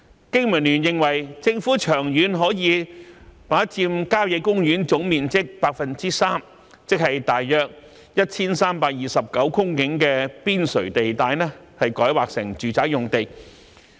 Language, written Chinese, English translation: Cantonese, 經民聯認為，政府長遠可以把郊野公園總面積的 3%， 即約 1,329 公頃的邊陲地帶，改劃成住宅用地。, BPA is of the view that in the long run the Government can rezone 3 % of the total area of country parks namely 1 329 hectares of land on their periphery to residential use